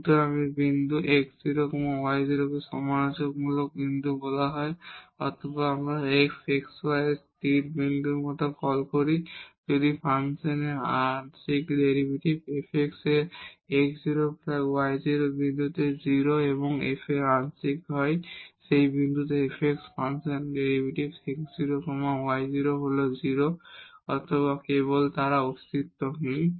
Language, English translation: Bengali, So, the point x 0 y 0 is called critical point or we also call like a stationary point of f x y if the partial derivative of the function f x at this x 0 y 0 point is 0 and f the partial derivative of the function f y at that point x 0 y 0 is 0 or simply they fail to exists